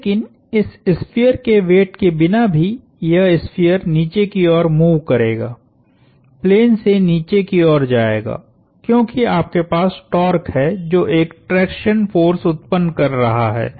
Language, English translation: Hindi, But, even in the absence of the weight of this sphere, this sphere would move downward, would move down the plane just because you have the torque which is creating a traction force